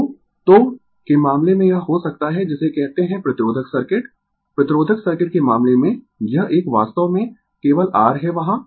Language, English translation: Hindi, So, so it can be in the case of what you call resistive circuit, in the case of resistive circuit, this one actually only R is there